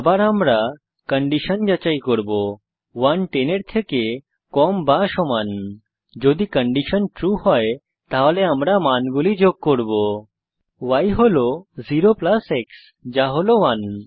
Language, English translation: Bengali, Here we check whether x is less than or equal to 10 which means the values of x will be from 0 to 10 Then we add y plus x (i.e) 0 plus 0 we get 0